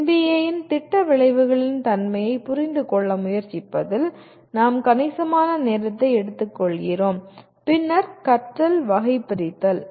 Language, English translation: Tamil, We take considerable time in trying to understand the nature of the program outcomes of NBA, then taxonomy of learning